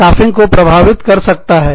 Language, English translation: Hindi, It can affect, the staffing